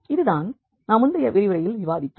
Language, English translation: Tamil, So, this is what we have already discussed in the previous lecture